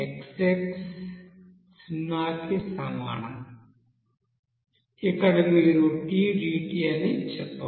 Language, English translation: Telugu, So xs that will be is equal to 0 to here you can say tdt